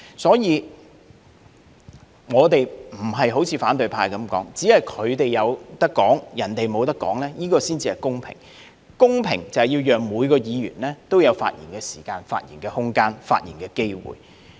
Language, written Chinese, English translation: Cantonese, 所以，我們並非好像反對派所說的，只有他們才可以發言，別人不能發言才是公平，公平是要讓每一位議員也有發言時間、發言空間和發言機會。, So I must say our understanding of fairness is not quite the same as the perception of the opposition camp in the sense that in their view fairness means that the right to speak is exclusive to themselves only . To us fairness should rather mean providing each Member with the time room and opportunity for speaking